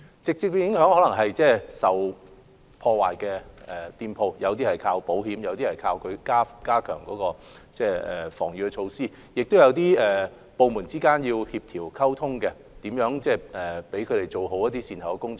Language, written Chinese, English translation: Cantonese, 直接的影響可能是店鋪受到破壞後，有些須依靠保險，有些則依靠加強防禦措施；亦有部門之間的協調和溝通，以找出如何做好善後工作。, The direct impact may be that when the shops have been vandalized some of them would rely on insurance whereas some others would rely on strengthening their defensive measures . There would also be coordination and communication among departments to find out the best way to undertake follow - up work in the aftermath